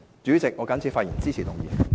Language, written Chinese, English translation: Cantonese, 主席，我謹此發言，支持議案。, With these remarks President I support the motion